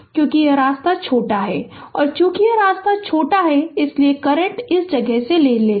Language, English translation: Hindi, And because this path is short and as this path is short so current will take this place